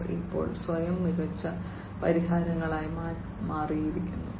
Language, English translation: Malayalam, And they have now also transformed themselves into smarter solutions